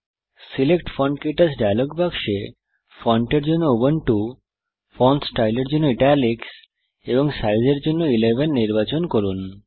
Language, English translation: Bengali, In the Select Font KTouch dialogue box, let us select Ubuntu as the Font, Italic as the Font Style, and 11 as the Size